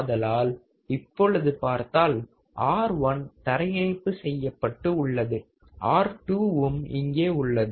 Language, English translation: Tamil, So, let us see, R1 is here which is grounded, R2 is here